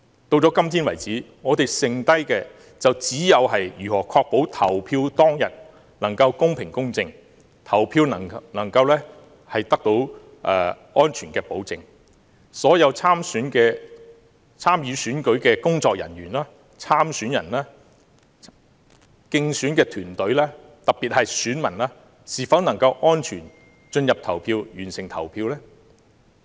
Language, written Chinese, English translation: Cantonese, 到今天為止，我們剩下的就只有如何確保投票當天能夠公平、公正，投票能夠得到安全的保證，所有參與選舉的工作人員、參選人、競選團隊，特別是選民，都能夠安全進入投票站完成投票。, Today the only thing left that we can still do is how to ensure that the polling will be fair just and safe and that all the staff candidates campaign teams participating in the election and the voters in particular can enter polling stations safely and complete the voting